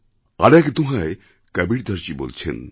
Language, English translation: Bengali, In another doha, Kabir has written